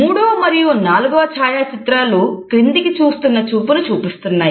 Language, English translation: Telugu, The third and the fourth photographs depict the gaze which is downwards